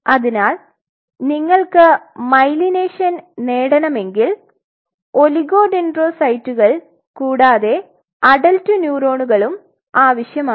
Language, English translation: Malayalam, So, you will be needing oligodendrocytes if you want to achieve a myelination and you will be needing adult neurons